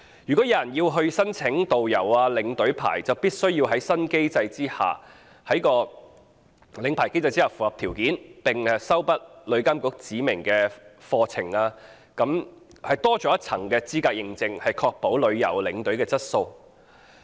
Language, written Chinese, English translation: Cantonese, 如果有人要申請導遊、領隊牌照，就必須在新機制下的領牌考試中合格，並修畢旅監局指明課程，多了一層資格認證，確保旅遊領隊的質素。, The frameworks will be streamlined and consolidated . If anyone wants to apply for a tourist guide or tour escort licence they must pass the licensing examination under the new mechanism and complete courses designated by TIA . The addition of one layer of certification will ensure the quality of tour escorts